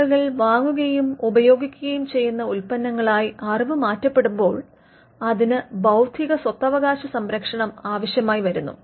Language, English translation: Malayalam, Now, when the new knowledge manifest itselfs into products and services, which people would buy and use then we require protection by intellectual property